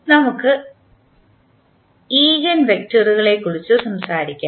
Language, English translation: Malayalam, Now, let us talk about the eigenvectors